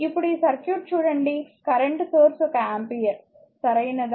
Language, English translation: Telugu, Now, look at this circuit is a current source one ampere, right